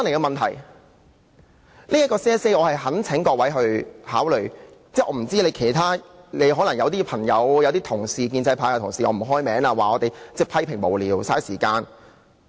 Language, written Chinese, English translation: Cantonese, 我不清楚其他人的想法，可能有些朋友或建制派同事——我不開名了——會批評我們無聊、浪費時間。, I do not know how others think . Maybe some people or pro - establishment Members will dismiss the amendment as senseless and a waste of time